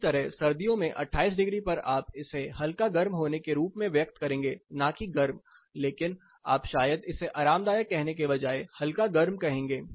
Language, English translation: Hindi, Similarly in winters the same 28 degree you will express it as being warm probably not hot, but you would probably say that this is a warm condition rather than saying that it is comfortable